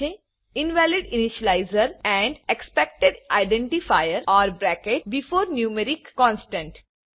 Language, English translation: Gujarati, We see an error Invalid initializer and Expected identifier or bracket before numeric constant